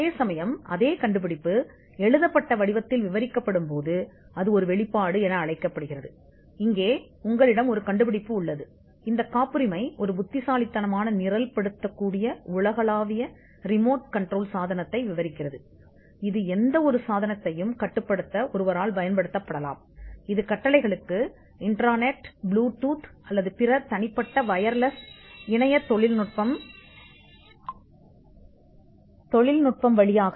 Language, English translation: Tamil, Whereas, when the same invention is described in a written form, it is described as a disclosure, here you have an invention this patent describes an intelligent programmable universal remote control device, which can be used by a user to control any device, that responds to commands and via infrared, Bluetooth or other wireless personal network technology